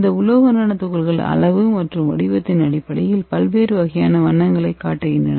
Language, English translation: Tamil, So why this metal nanoparticles showing different kind of colors you can see here different size and different shapes showing different kind of colors